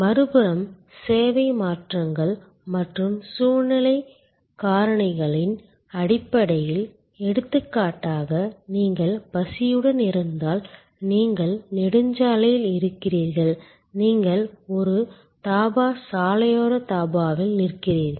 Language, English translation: Tamil, On the other hand, based on service alterations and situational factors like for example, if you are hungry, you are of the highway and you stop at a Dhaba, road side Dhaba